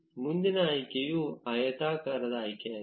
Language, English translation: Kannada, The next option is the rectangular selection